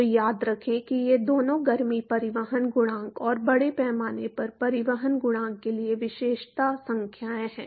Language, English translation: Hindi, So, remember that these two are characterizing numbers for heat transport coefficient and mass transport coefficient